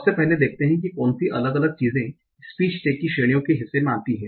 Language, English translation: Hindi, So, firstly, let us see what are different things that will go into the part of speech, part of speech tag categories